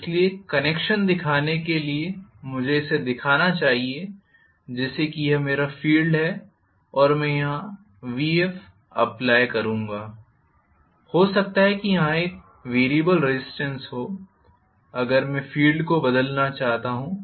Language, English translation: Hindi, So to show the connection I should show it as though this is my field and I will apply Vf here, maybe I can have a variable resistance here if I want to vary the field so this is F1 this is F2, right